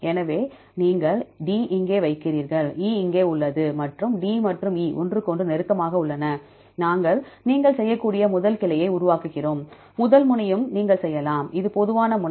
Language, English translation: Tamil, So, you put the D is here E is here and D and E are close to each other, we make first branch you can make and first node also you can make, this is the common node